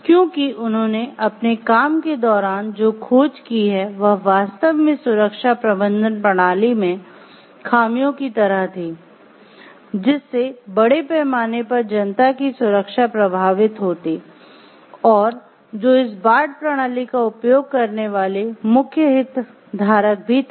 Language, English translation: Hindi, Because what they have discovered in the course of their working is like some loopholes in the safety management system which would have affected the concern for the greater public at large who will be the main stakeholders who will be using this Bart system